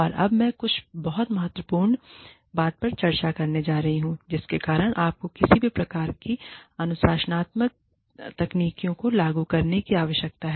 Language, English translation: Hindi, And now, i am going to discuss, something very, very, important, which is, why should you even need to implement, any kind of disciplining techniques